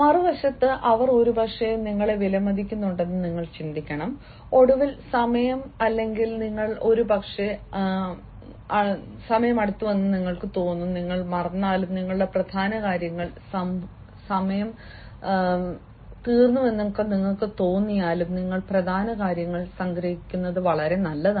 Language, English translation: Malayalam, on the other hand, you should think that, therefore, have appreciating you and, finally, when you feel that the time is indicating or you are perhaps nearing, and even if you forget, it is better to summarize your main points